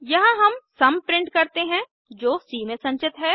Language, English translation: Hindi, Here we print the sum which is store in c